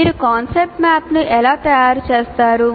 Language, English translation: Telugu, That's how you prepare the concept map